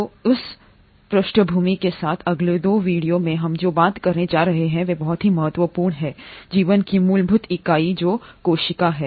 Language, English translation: Hindi, So with that background in the next 2 videos what we are going to talk about, are the very fundamental unit of life which is the cell